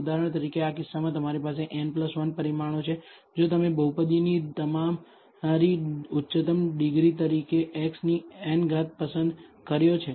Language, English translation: Gujarati, For example, in this case you have n plus 1 parameters if you have chosen x power n as your highest degree of the polynomial